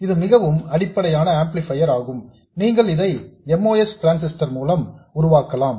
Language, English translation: Tamil, And this is the very basic type of amplifier you can build with a MOS transtasy